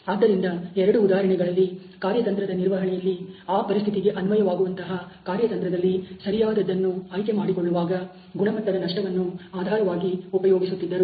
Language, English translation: Kannada, So, both of them were illustrations where quality loss was used as a basis for selection of the right to strategy management strategy which would be applied to that condition